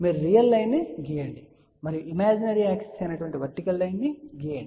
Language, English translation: Telugu, You draw a real line and you draw vertical line which is a imaginary axis